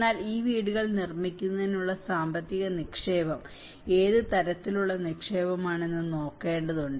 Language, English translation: Malayalam, But one has to look at the kind of investment, the financial investment is going in making these houses